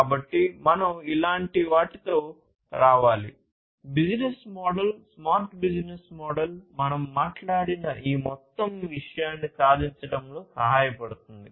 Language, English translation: Telugu, So, we need to come up with something like this; the business model, a smart business model that can help achieve this overall thing that we have talked about